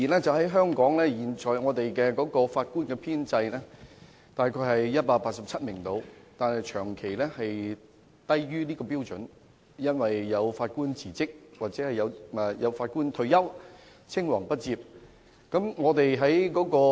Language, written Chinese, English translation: Cantonese, 儘管香港現時的法官編制約為187名，但實際數目卻長期低於這個標準，原因是有法官辭職或退休，以致出現青黃不接的問題。, Although under the current establishment there are about 187 judges in Hong Kong the actual number is consistently below this standard due to the resignation or retirement of judges thereby creating a succession problem